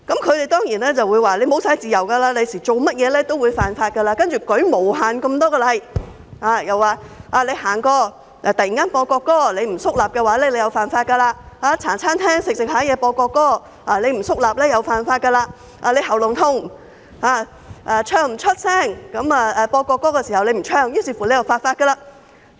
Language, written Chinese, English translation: Cantonese, 他們當然說日後會失去自由，做甚麼事情也會犯法，舉出無限個例子：過路時突然播國歌，不肅立便犯法；在茶餐廳進餐時播國歌，不肅立便犯法；因咽喉痛而在播國歌時不能開聲唱，又是犯法。, They certainly would say in the future freedom will be eroded and people will break the law for doing anything . They gave countless examples a person walking on the road who does not stand solemnly when hearing the national anthem being played will break the law; a person who enters a Hong Kong - styled diner where the national anthem is being played does not stand solemnly will break the law; a person having a sore throat who cannot sing when the national anthem is being played will also break the law